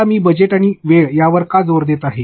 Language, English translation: Marathi, Now, why am I emphasizing on budget and time